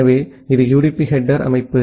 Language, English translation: Tamil, So, this is the structure of the UDP header